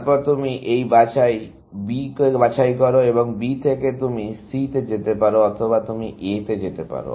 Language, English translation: Bengali, Then, you pick this B and from B, you can go to C, or you can go to A, or you can go to D